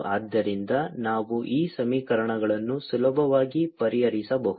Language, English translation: Kannada, so we can solve this equation easily